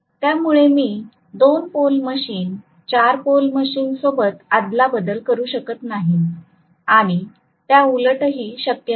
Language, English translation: Marathi, So I cannot interchange a 2 pole machine with 4 pole machine and vice versa I cannot do that